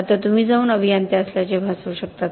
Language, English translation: Marathi, Now you can go and pretend to be an engineer